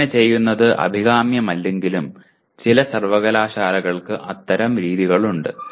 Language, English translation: Malayalam, So though it may not be desirable to do so but some universities have such practices